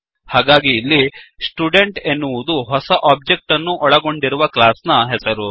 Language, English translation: Kannada, So, here Student is the name of the class of the new object created